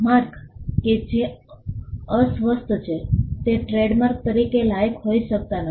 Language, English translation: Gujarati, Marks that are disparaging cannot qualify as a trademark